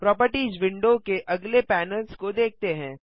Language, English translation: Hindi, Lets see the next panels in the Properties window